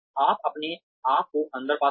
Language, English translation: Hindi, You find yourself in